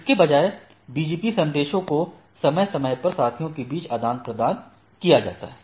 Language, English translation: Hindi, Instead BGP message are periodically exchanged between the peers right